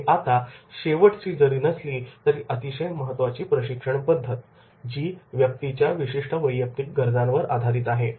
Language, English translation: Marathi, Now the last but not the least is, very important training method and that is the specific based on the specific individual needs